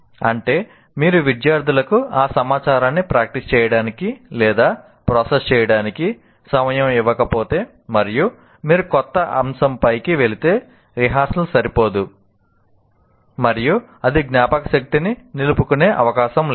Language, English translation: Telugu, That is, if you don't give time to the students to practice or process that information and you move on to a new topic, obviously the rehearsal is not adequate and it is unlikely to be retained in the memory